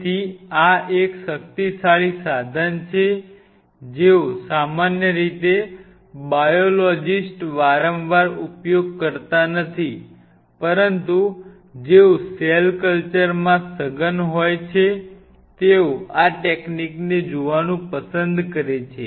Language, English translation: Gujarati, So, this is a powerful tool which generally not used by the biologist very frequently, but those who are intensively into cell culture they may like to look at this technique